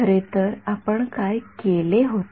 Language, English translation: Marathi, What did we do rather